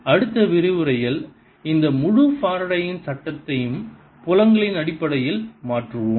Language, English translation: Tamil, in the next lecture we will be turning this whole faradays law into in terms of fields